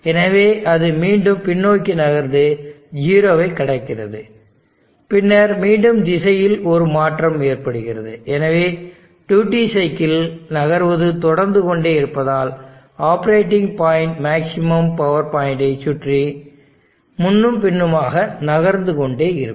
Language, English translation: Tamil, So it moves back again it cross the 0, then again there is a change in direction, so duty cycle keeps moving in such a way that operating point keeps shifting back and forth around the maximum power point